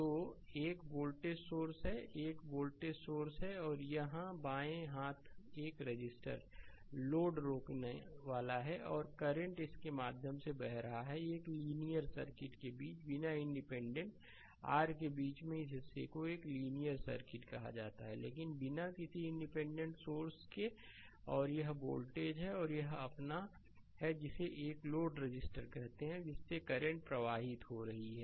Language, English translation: Hindi, So, you have you have one voltage source, you have one voltage source and here one left hand side one resistor load resistor is there R and current is flowing through it and between a linear circuit without independent in between your what you call this portion is a linear circuit, but without any without independent sources and this is voltage, and this is your what you call this is your one load resistance R is their current flowing through it is i right